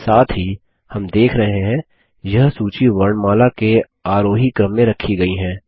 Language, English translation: Hindi, Also, we see that, this list is arranged alphabetically in ascending order